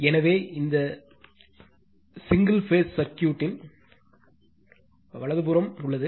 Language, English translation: Tamil, So, with this single phase circuit is over right